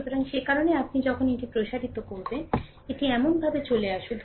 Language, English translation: Bengali, So, that is why this when you expand this it is coming like this, right